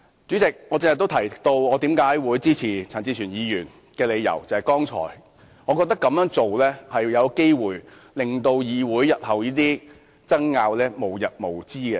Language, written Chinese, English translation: Cantonese, 主席，我剛才也提到支持陳志全議員的理由，是這樣做有機會令議會日後的爭拗無日無之。, President I have also mentioned the reason for supporting Mr CHAN Chi - chuen which is his course of action will cause endless disputes in the Council